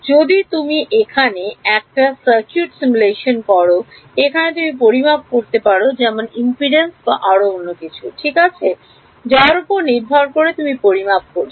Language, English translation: Bengali, If you are doing a circuit simulation here is why you would calculate things like impedance of whatever right based on what you have calculated